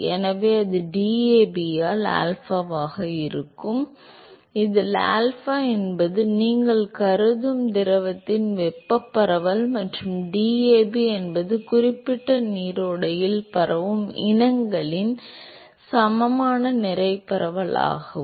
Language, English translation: Tamil, So, that will be alpha by DAB, where alpha is the thermal diffusivity of the fluid that you are look that you are considering and DAB is the equimolar mass diffusivity of the species that are diffusing that is that particular stream